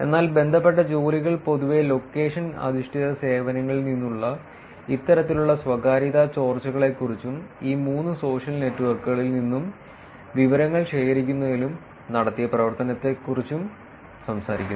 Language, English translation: Malayalam, But related work generally talks about these kind of privacy leakages from location based services and work done on collecting data from these three social networks and inferences that were done